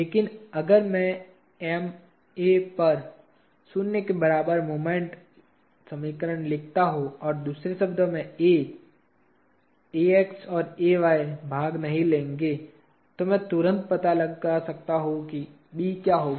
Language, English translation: Hindi, But if I write the equation of moment equal to zero at M A, or, in other words A, Ax and Ay will not take part, I can immediately find out what will be B